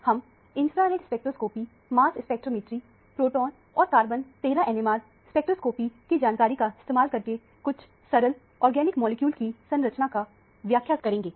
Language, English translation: Hindi, We will use the information from infrared spectroscopy, mass spectrometry, proton and carbon 13 NMR spectroscopy for elucidation of structure of some simple organic molecule